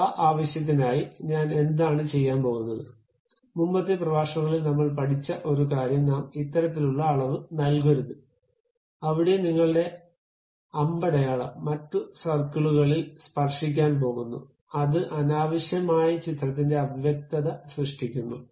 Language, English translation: Malayalam, So, for that purpose, what I am going to do, one of the thing what we have learnt in our earlier lectures we should not give this kind of dimension, where your arrow is going to touch other circle and it unnecessarily create ambiguity with the picture